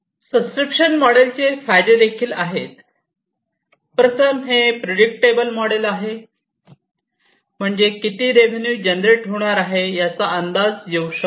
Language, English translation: Marathi, So, there are different advantages of the subscription model, it is a predictable kind of model, where you can predict how much revenue is going to be generated